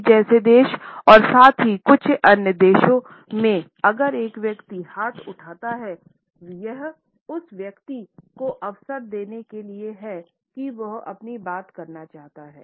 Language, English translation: Hindi, In a country like Italy as well as in certain other countries if a person raises the hand, it is customary to give the floor to that person so that he can speak